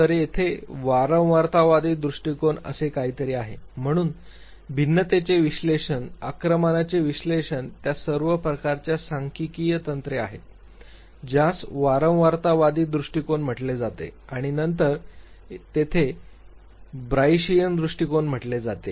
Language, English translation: Marathi, So, there is something called frequentist approach, so analysis of variance, regression analysis all those types of statistical techniques which are called a frequentist approach and then there is something called Bayesian approach